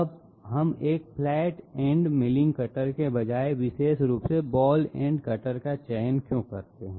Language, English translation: Hindi, Now why do we choose specifically a ball ended cutter instead of a flat ended milling cutter